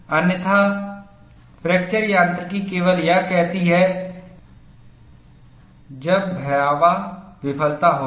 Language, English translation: Hindi, Otherwise fracture mechanics only says, when catastrophic failure will occur